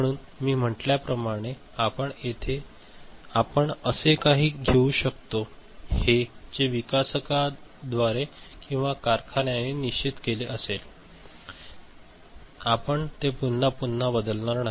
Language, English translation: Marathi, So, you can take something which as I said this is fixed by the developer or the factory, you are not changing it again and again